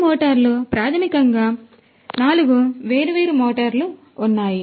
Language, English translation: Telugu, These motors basically rotate in you know there are 4 different motors